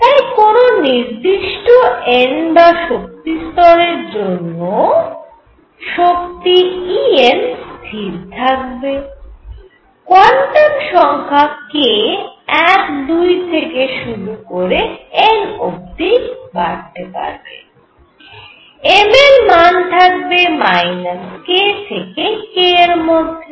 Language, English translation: Bengali, So, for a given n a given energy level right, that energy is fixed E n, I would have n, the quantum number k would vary from 1, 2 and up to all the way up to n and m which varied from minus k to k